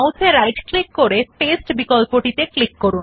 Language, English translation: Bengali, Again right click on the mouse and click on the Paste option